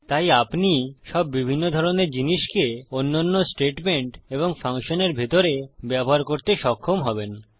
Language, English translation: Bengali, So you will be able to use all different kinds of things inside other statements and inside functions